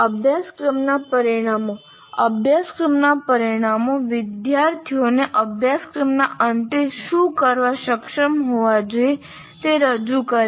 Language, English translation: Gujarati, Course outcomes present what the student should be able to do at the end of the course